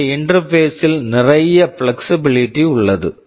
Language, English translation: Tamil, And of course, here there is lot of flexibility in the interface